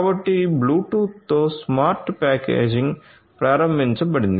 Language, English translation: Telugu, So, smart packaging is enabled with Bluetooth